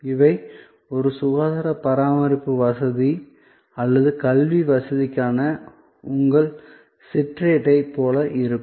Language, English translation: Tamil, So, these will be like your brochure for a health care facility or for an educational facility